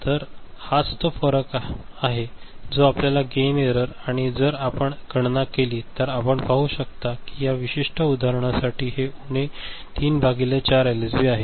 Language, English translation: Marathi, So, this is the difference that is the gain error, and if you calculate, you can see that this is minus for this particular example minus 3 by 4 LSB ok